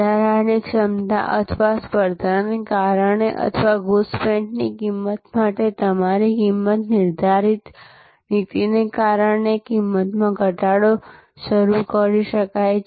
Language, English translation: Gujarati, Price cut can be initiated due to excess capacity or competition or your pricing policy for penetrative pricing